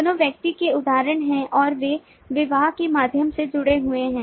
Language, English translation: Hindi, both are instances of person but they are associated through the marriage